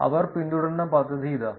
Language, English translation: Malayalam, Here is the scheme that they followed